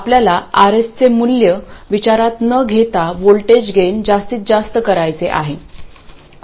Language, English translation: Marathi, We want to maximize the voltage gain regardless of the value of R S